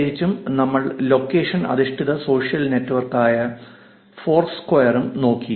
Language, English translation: Malayalam, And particularly we have also looked at Foursquare, which is a location based social network